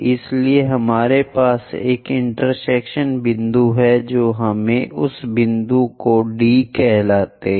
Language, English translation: Hindi, So, that we have an intersection point let us call that point as D